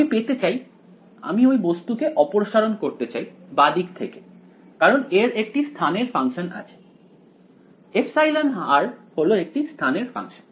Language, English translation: Bengali, I want to get I want to remove this guy from the left hand side because it has a function of space epsilon r is a function of space